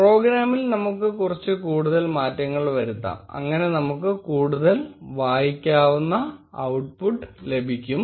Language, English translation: Malayalam, Let us make few more modifications in the program, so that we have a bunch of more readable output